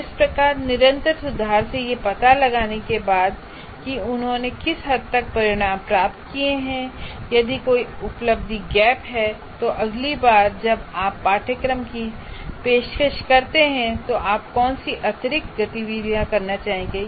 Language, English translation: Hindi, That is having done something, having found out to what extent they have attained the outcomes, if there is an attainment gap, what is the additional activities that you would like to do next time you offer the course